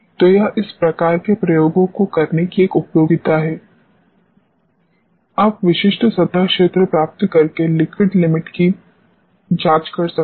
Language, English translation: Hindi, So, this is one utility of doing this type of experiments, you can straight away check the liquid limit by obtaining specific surface area